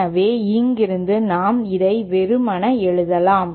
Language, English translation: Tamil, So from here we can simply write this down